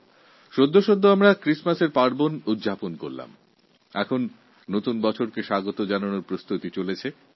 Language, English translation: Bengali, We celebrated Christmas and preparations are now on to ring in the New Year